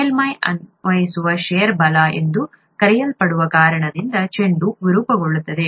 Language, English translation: Kannada, The ball distorts when, because of, what are called shear forces that are applied on the surface